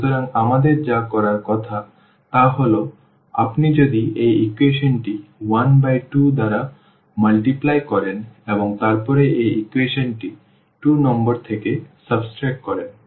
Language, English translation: Bengali, So, what we are supposed to do actually that if you multiply this equation 1 by 2 and then subtract this equation from this equation number 2